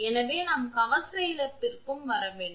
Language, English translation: Tamil, So, we have to come to the armor loss also